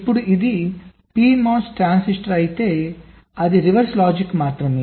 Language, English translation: Telugu, now if it is a p mos transistor, it is just the reverse logic